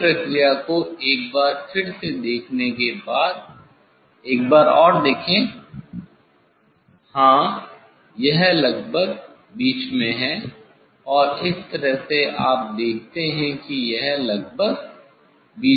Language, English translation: Hindi, repeat the process once more you see this, once more you see yes, this is almost in middle and this way you see it is almost in middle